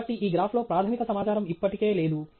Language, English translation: Telugu, So, that basic piece of information is already missing on this graph